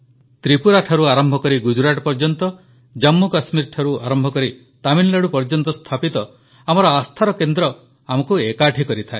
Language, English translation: Odia, Our centres of faith established from Tripura to Gujarat and from Jammu and Kashmir to Tamil Nadu, unite us as one